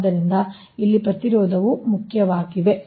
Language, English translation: Kannada, so resistance here are important